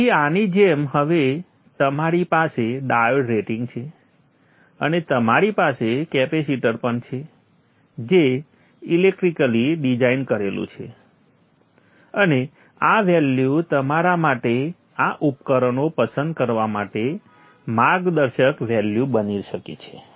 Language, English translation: Gujarati, So like this now you have the diode rating and you also have the capacitor electrically designed and these values can be your guiding values for you to choose these devices